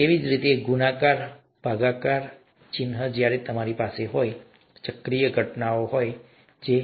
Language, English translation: Gujarati, Similarly, multiplication, division sign when you have, cyclic occurrences and so on